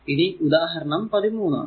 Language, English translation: Malayalam, 12 that is example 12